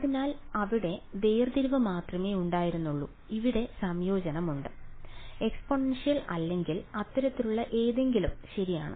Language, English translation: Malayalam, So, there was only there is differentiation there is integration, there is nothing more fancy like exponential or something like that right